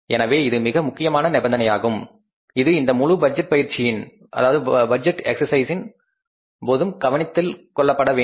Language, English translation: Tamil, So, that is very important condition which will be required to be taken care of in case of this entire budgeting exercise